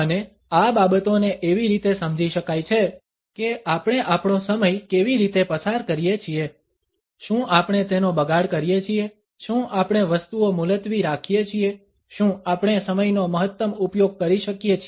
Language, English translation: Gujarati, And these can be understood in terms of how do we spend our time, do we waste it, do we keep on postponing things, are we able to utilize the time to its maximum